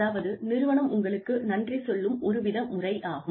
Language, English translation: Tamil, So, it is like, you know, the company is saying, thank you, to you